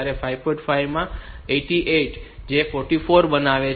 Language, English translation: Gujarati, 5 into 8 that makes it 44